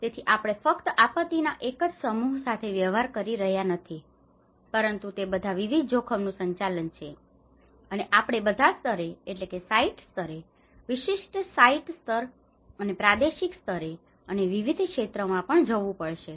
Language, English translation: Gujarati, So that is how we are not just dealing only with one set of disaster, but it has to go with the multi hazard management of disaster risk in the development at all levels both at site level, the specific site level and also the regional level and also various sectors